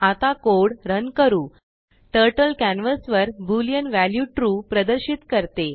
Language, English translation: Marathi, Lets run the code now Turtle displays Boolean value true on the canvas